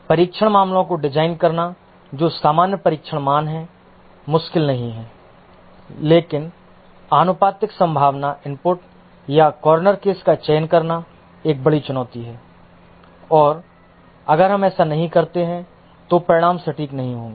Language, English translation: Hindi, Designing the test cases that are rather usual test values is not difficult, but selecting a proportionate unlikely input or the corner cases is a big challenge and if you don't do this, the results won't be accurate